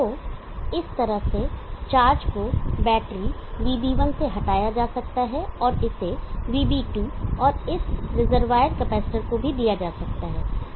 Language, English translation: Hindi, So in this way charge can be removed from battery vb1 and it can be given to vb2 and also to this reservoir capacitor